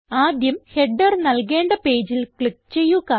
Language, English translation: Malayalam, First click on the page where the header should be inserted